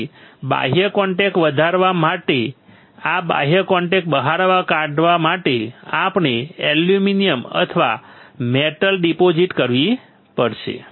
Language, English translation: Gujarati, So, for growing out the external contact or for taking out the external contact, we have to deposit aluminium or a metal